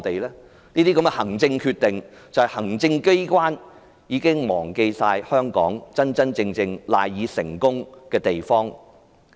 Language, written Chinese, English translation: Cantonese, 行政機關作出這些行政決定，顯示它已忘記香港賴以成功的地方。, When making such administrative decisions the Executive Authorities have forgotten the basis on which Hong Kongs success relies